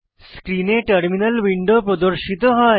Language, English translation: Bengali, A terminal window appears on your screen